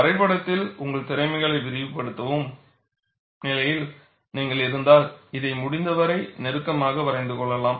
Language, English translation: Tamil, If you are in a position to extrapolate your skills in drawing, you could also sketch this as closely as possible